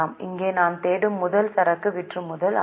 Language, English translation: Tamil, The first one here we are looking for is inventory turnover